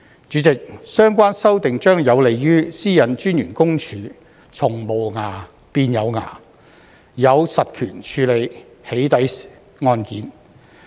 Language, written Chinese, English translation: Cantonese, 主席，相關修訂將有利於私隱公署從"無牙"變"有牙"，有實權處理"起底"案件。, President the relevant amendments will facilitate the change of PCPD from being toothless to having teeth and having the actual power to deal with doxxing cases